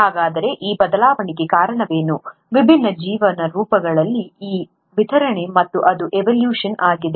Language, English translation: Kannada, So what is it that caused this variation, this distribution in different life forms, and that is evolution